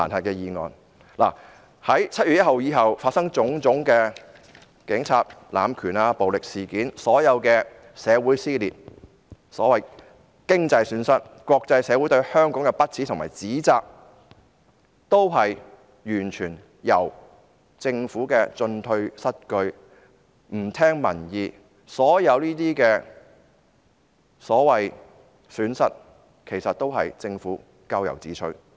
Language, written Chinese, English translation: Cantonese, 在7月1日後發生的種種警察濫權和暴力事件，所有社會撕裂、經濟損失、國際社會對香港的不齒和指責，完全是因為政府的進退失據和不聽民意所致，所有這些所謂損失，其實也是政府咎由自取。, The cases of abuse of power by the Police and the incidents of violence that happened after 1 July as well as the divide in our society economic losses and the contempt and condemnation by the international community of Hong Kong were caused by a government that was at a loss as to what to do a government that did not listen to the peoples opinions . It only has itself to blame for all these so - called losses